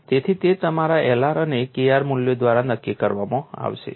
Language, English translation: Gujarati, So, that would be determined by your L r and K r values